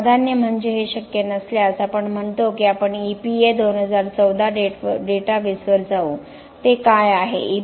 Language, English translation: Marathi, So, the priority is if this is not possible, we say we go to EPA 2014 database, what is that